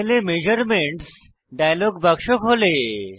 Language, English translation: Bengali, Measurements dialog box opens on the panel